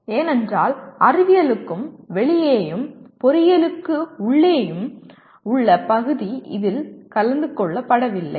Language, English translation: Tamil, And that is because the area that is outside science and inside engineering has not been attended to